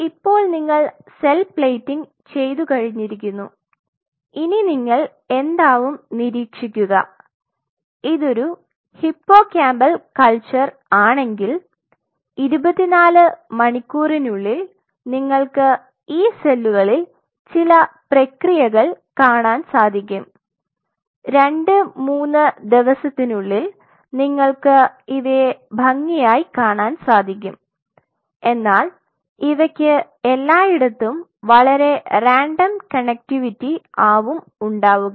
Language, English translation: Malayalam, So, you have done the cell plating now what will you observe with it if it is a hippocampal culture within 24 hours you will start seeing these cells will be sending out processes and within 2 3 days you will see these cells are going very neatly, but they will have a very random connectivity all over the place